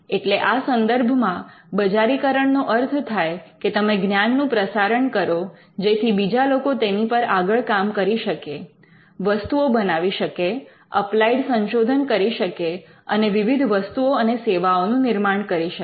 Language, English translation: Gujarati, So, commercialization means in such cases you just disseminate the knowledge, so that other people can build upon it, create products, do applied research and come up with various products and services